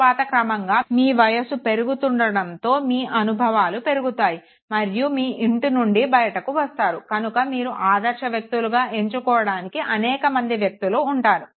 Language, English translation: Telugu, Then gradually with your increase in age and experience when you move out of the house, you have multiple, multiple individuals to choose from